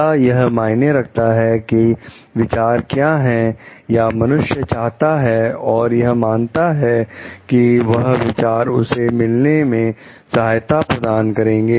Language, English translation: Hindi, Does it matter what the ideas are or the human wants and means that those ideas help to meet